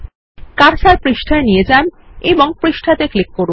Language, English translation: Bengali, Move the cursor to the page and click on the page